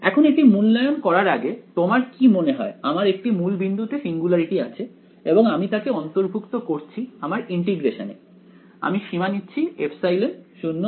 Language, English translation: Bengali, Now is this before we evaluate this what do you think I have a I have a singularity at the origin and I am including it in the integration I am taking the limit epsilon tending to 0